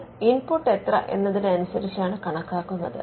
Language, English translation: Malayalam, Now, this is computed based on the input